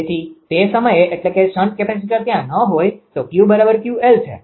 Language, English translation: Gujarati, So, at that time this I mean shunt capacitor is not there, it is Q is equal to Q l